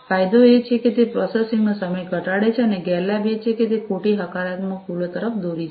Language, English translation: Gujarati, The advantage is that it reduces the processing time and the disadvantage is that it has it leads to false positive errors